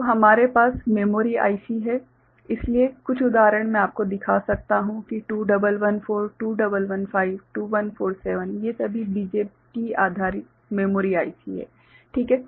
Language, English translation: Hindi, So, we have memory IC s so, some examples I can show you that 2114, 2115, 2147 these are all BJT based memory ICs right